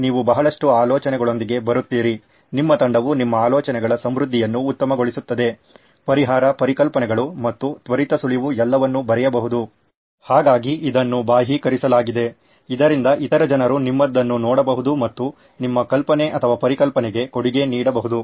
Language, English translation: Kannada, You come up with a lot of ideas, the more diverse your team is the better the richness of your ideas, the solution, concepts and quick tip is to write it all down, so its externalised so that other people can see and contribute to your idea or concept